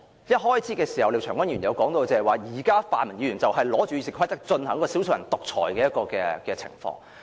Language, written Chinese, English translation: Cantonese, 廖長江議員在開始發言時提及現時泛民議員利用《議事規則》進行"少數人獨裁"的情況。, At the beginning of his speech Mr Martin LIAO mentioned the present situation in which the RoP is manipulated by pan - democratic Members to exercise dictatorship by a handful of people